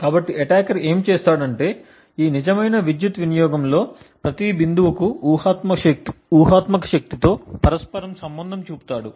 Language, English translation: Telugu, So, what the attacker does if that for each point in this real power consumption he correlates this with a hypothetical power